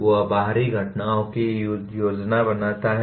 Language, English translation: Hindi, He plans external events